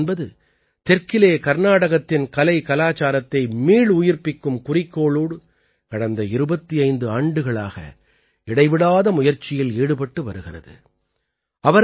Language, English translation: Tamil, In the South, 'Quemshree' has been continuously engaged for the last 25 years in the mission of reviving the artculture of Karnataka